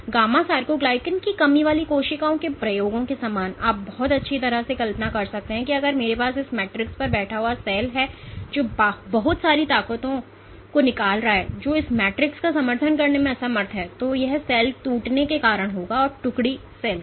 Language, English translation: Hindi, Similar to the experiments for gamma sarcoglycan deficient cells you can very well imagine, if I have a cell sitting on this matrix which is exerting lot of forces which this matrix is unable to support, then that will lead to collapse of the cell or detachment of the cell